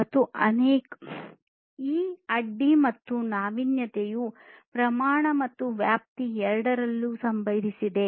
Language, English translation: Kannada, And this disruption and innovation has happened in both the scale and scope